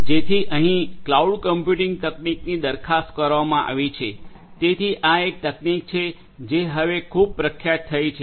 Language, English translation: Gujarati, So, that is where this cloud computing technology has been has been proposed, so this is a technology that has become very popular now